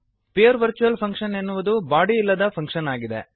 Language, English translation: Kannada, A pure virtual function is a function with no body